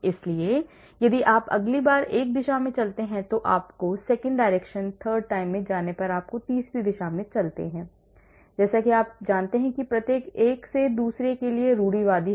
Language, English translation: Hindi, So, if you move in one direction next time you are moving the second direction third time you move in the third direction like that you know each one is orthogonal to another